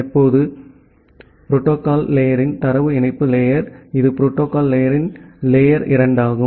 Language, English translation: Tamil, Now, the data link layer of the protocol stack that is the layer 2 of the protocol stack